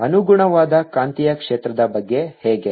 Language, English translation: Kannada, how about the corresponding magnetic field